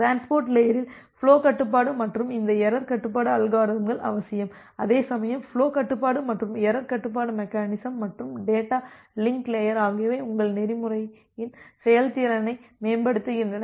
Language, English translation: Tamil, The flow control and this error control mechanism at the transport layer; they are essential whereas the flow control and the error control mechanism and the data link layer they improve the performance of your protocol